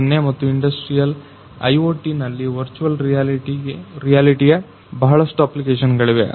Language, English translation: Kannada, 0 and Industrial IoT virtual reality has lot of applications